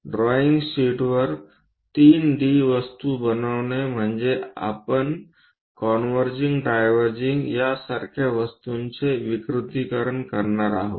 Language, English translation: Marathi, Constructing 3 D objects on drawing sheets means we are going to induce aberrations like converging diverging kind of things